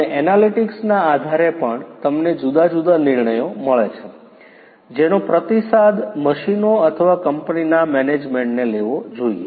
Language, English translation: Gujarati, And also based on the analytics, you get different decisions which has to be feedback either to the machines or to the management in the company